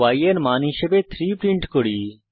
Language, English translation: Bengali, We print the value as 3